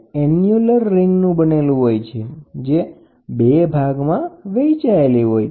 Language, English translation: Gujarati, It is composed of an annular ring, which is separated into two parts by a partition